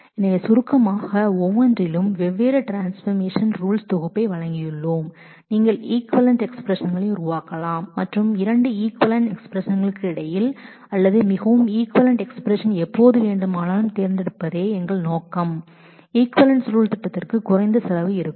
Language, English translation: Tamil, So, we have in short we have presented a set of different transformation rules by each which you can make equivalent expressions and between 2 equivalent expressions or more equivalent expressions our objective will always be to choose the one whose evaluation plan will have a lesser cost